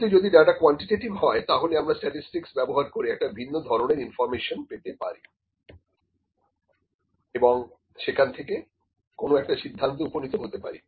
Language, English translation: Bengali, But yes if the data is quantitative we can apply statistics to get different kind of information and we can also conclude something, ok